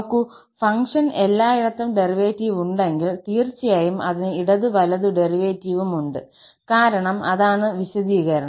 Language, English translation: Malayalam, See, if the function has the derivative everywhere, definitely, it has the left hand and the right hand derivative because that is also the definition